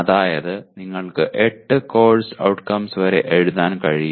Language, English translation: Malayalam, That means you can write up to 8 outcomes